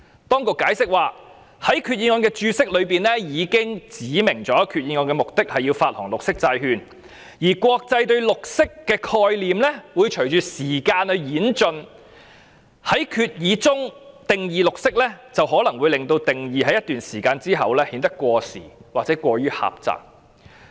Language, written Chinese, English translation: Cantonese, 當局解釋指，在決議案的註釋中已指明決議案的目的是要發行綠色債券，而國際對綠色的概念會隨着時間而演進，在決議中定義綠色可能會令定義在一段時間後顯得過時或過於狹隘。, According to the authorities explanation it is specified in the Explanatory Note of the Resolution that the purpose of the Resolution is to issue green bonds and a definition of green imposed under the Resolution may with hindsight become obsolete or overly narrow as the worlds concept of what is green evolves over time